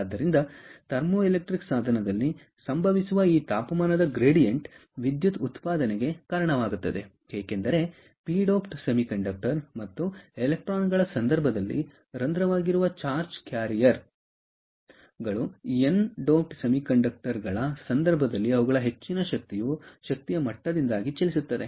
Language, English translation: Kannada, so this temperature gradient that happens across the thermoelectric device results in the generation of electricity because the charge carriers, which is holes, in case of the p doped semiconductor, and electrons, in the case of n doped semiconductors, tend to move due to their higher energy levels, will tend to move from the hot junction towards the cold junction